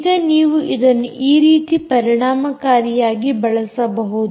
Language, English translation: Kannada, now you can use this very effectively in the following way